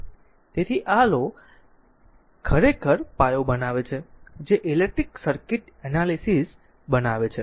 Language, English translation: Gujarati, So, these laws actually form the foundation upon which the electric circuit analysis is built